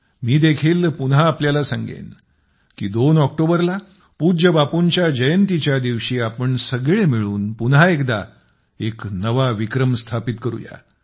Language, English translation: Marathi, I too would like to remind you again that on the 2 nd of October, on revered Bapu's birth anniversary, let us together aim for another new record